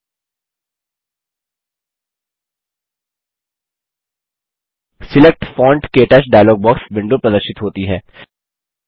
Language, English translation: Hindi, The Select Font – KTouch dialogue box window appears